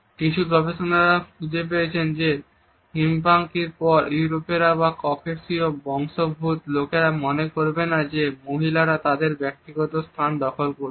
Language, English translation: Bengali, Certain researchers have found out that Hispanics followed by Europeans or people of Caucasian origin are least likely to feel that women are invading their personal space